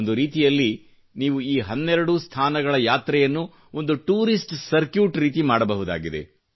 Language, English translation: Kannada, In a way, you can travel to all these 12 places, as part of a tourist circuit as well